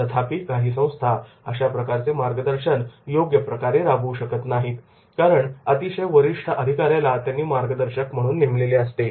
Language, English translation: Marathi, However, the some organizations could not implement mentoring properly because they have kept a very high senior executive as a mentor